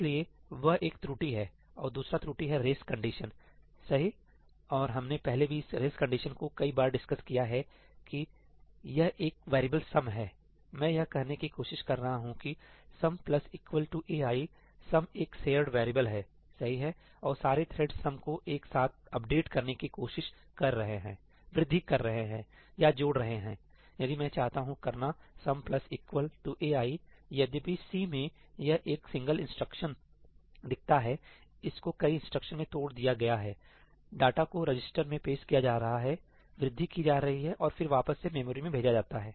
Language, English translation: Hindi, So, that is one bug and the other bug is that I have a race condition, right, and we already discussed this race condition enough times that there is this variable sum, I am trying to say ‘sum plus equal to ai’, sum is a shared variable, right, and all the threads are trying to update sum together, doing an increment or addition, if I want to do ‘sum plus equal to ai’, even though in C it looks like a single instruction, it is broken down into a number of instructions that data is fetched into the register, incremented and then put back into the memory